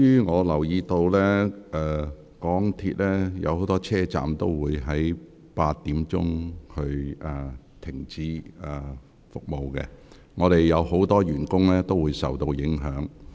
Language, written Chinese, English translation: Cantonese, 我留意到今天多個港鐵車站將提早於晚上8時停止服務，本會不少職員將因而受到影響。, I am aware that as many MTR stations will stop service early today at 8col00 pm many staff members of this Council will be affected